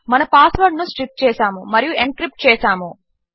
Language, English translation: Telugu, We have stripped and encrypted our password